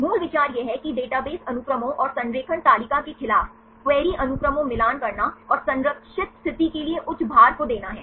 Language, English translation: Hindi, The basic idea is to match the query sequences against the database sequences and the alignment table and give that high weightage to the conserved position